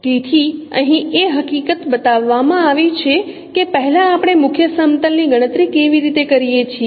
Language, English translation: Gujarati, So one of the fact what is shown here that first how we can compute the principal plane